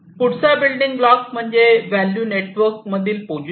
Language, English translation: Marathi, The next building block is the position in the value network position in the value network